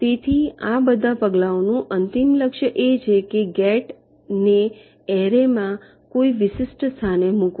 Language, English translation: Gujarati, so ultimate goal of all these steps will be to place a gate in to a particular location in the gate array